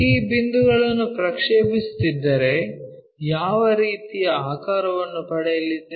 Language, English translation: Kannada, If that is the case if we are projecting these points, what kind of object we are going to get